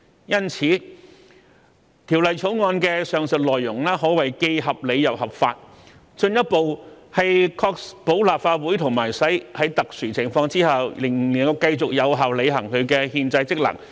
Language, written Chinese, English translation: Cantonese, 因此，《條例草案》的上述內容可謂既合理又合法，進一步確保立法會即使在特殊情況下仍能繼續有效履行其憲制職能。, Therefore the above contents of the Bill can be said to be both reasonable and legitimate and will further ensure that the Legislative Council can continue to discharge its constitutional functions even in exceptional circumstances